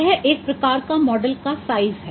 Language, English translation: Hindi, Size of a model is important